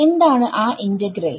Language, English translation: Malayalam, What is that integral